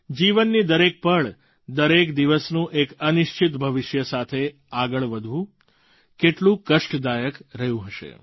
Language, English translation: Gujarati, How painful it would have been to spend every moment, every day of their lives hurtling towards an uncertain future